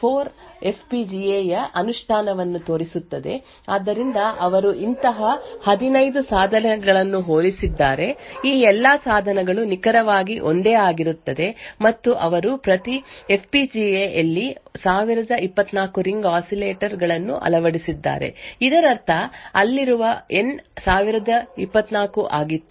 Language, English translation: Kannada, So, this paper shows the implementation of a Ring Oscillator PUF vertex 4 FPGA, so they compared 15 such devices, all of these devices are exactly identical and they implemented 1024 ring oscillators in each FPGA, this means that the N over there was 1024